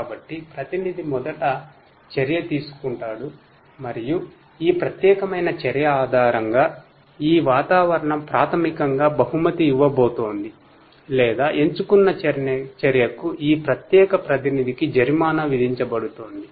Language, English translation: Telugu, So, it starts like this that the agent will first take an action, and based on this particular action this environment basically is either going to reward or is going to penalize this particular agent for that chosen action